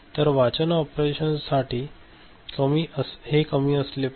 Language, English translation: Marathi, So, this has to be low for read operations